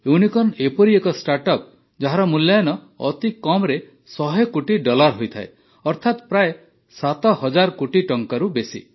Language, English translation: Odia, 'Unicorn' is a startup whose valuation is at least 1 Billion Dollars, that is more than about seven thousand crore rupees